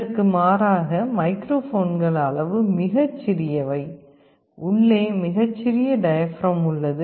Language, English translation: Tamil, In contrast microphones are very small in size; there is a very small diaphragm inside